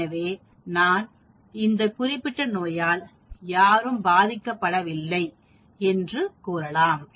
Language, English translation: Tamil, So I may say that nobody is infected with this particular disease